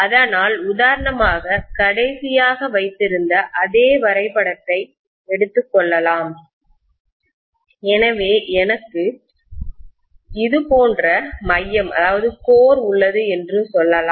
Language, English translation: Tamil, So if for example, let me take the same diagram what we had taken last time, so let us say I have a core like this, right